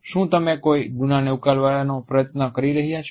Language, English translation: Gujarati, Are you trying to cover up a crime